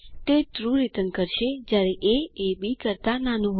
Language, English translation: Gujarati, It returns true when a is less than b